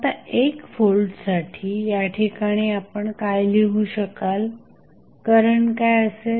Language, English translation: Marathi, So, what you can right at this point for 1 volt what would be the current